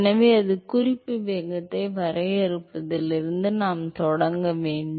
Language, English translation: Tamil, So, we have to start from defining the reference velocity